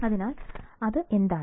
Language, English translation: Malayalam, So, what is that